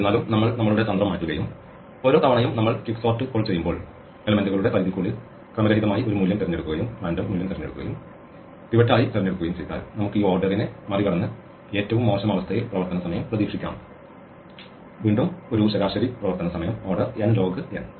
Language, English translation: Malayalam, However, if we change our strategy and say that each time we call quicksort we randomly choose a value within the range of elements and pick that as the pivot, then it turns out that we can beat this order n squared worst case and get an expected running time, again an average running time probabilistically of order n log n